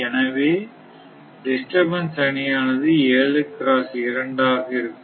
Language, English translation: Tamil, So, disturbance matrix will be 7 into 2